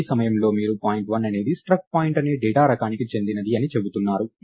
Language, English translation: Telugu, So, at this point you are saying that point 1 is of data type struct point